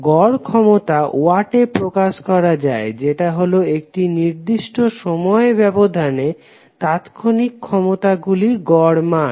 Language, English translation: Bengali, So average power we can represent in Watts would be the average of instantaneous power over one particular time period